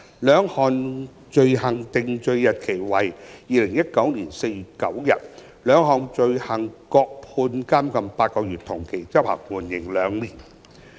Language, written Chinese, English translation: Cantonese, 兩項罪行的定罪日期為2019年4月9日，各判監禁8個月，同期執行，緩刑2年。, The date of conviction of the two offences was 9 April 2019 and respectively she was sentenced to imprisonment for eight months while both terms were to run concurrently and suspended for two years